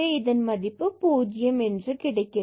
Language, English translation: Tamil, So, the function will take the value 0